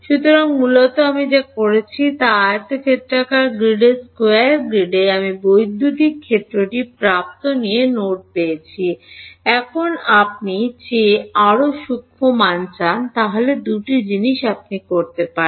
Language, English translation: Bengali, So, basically what I have done is on a square grid on rectangular grid I have got at every node location I have got the electric field; now you want even finer than that then there are two things you could do